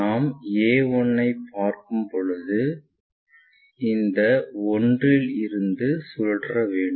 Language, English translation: Tamil, If, we are looking a 1, this a 1 length we have to rotate it